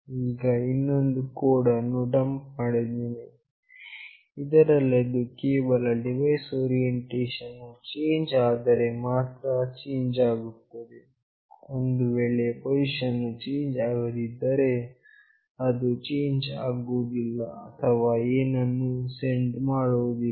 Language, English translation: Kannada, Now, I again dump another code, where only it will change, if the orientation of this particular device changes, it will not change or it will not send anything if the position does not change